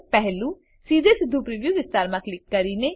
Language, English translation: Gujarati, One by clicking directly in the preview area..